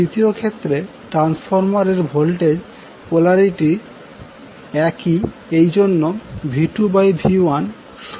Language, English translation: Bengali, In the second case the transformer voltage polarity is same that is why V2 by V1 is equal to N2 by N1